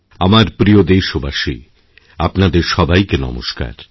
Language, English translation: Bengali, My fellow citizens, my namaskar to all of you